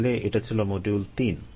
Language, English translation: Bengali, ok, so that was module three